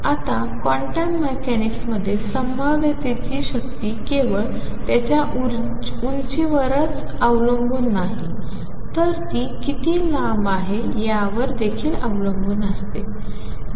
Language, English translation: Marathi, So, in quantum mechanics the strength of the potential depends not only is on its height, but also how far it is extended